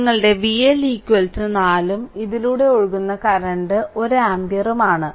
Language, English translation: Malayalam, Therefore, your V l is equal to your 4 and current flowing through this is 1 ampere